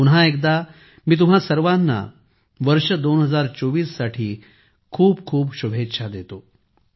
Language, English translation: Marathi, Once again, I wish you all a very happy 2024